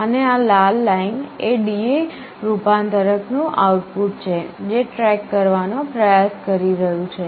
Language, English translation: Gujarati, And this red one is the output of the D/A converter which is trying to track